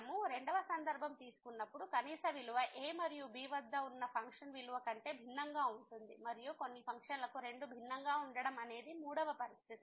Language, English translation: Telugu, The second case when we take the minimum value is different than the function value at and and the third situation that for some functions both maybe different